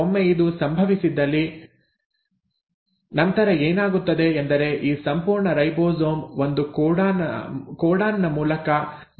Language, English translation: Kannada, And once this happens, so what will happen then is that this entire ribosome will shift by one codon to the right